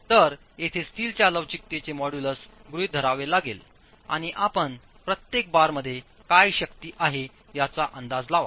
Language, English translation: Marathi, So, here, models of elasticity of steel has to be assumed and you will estimate what is the force in each bar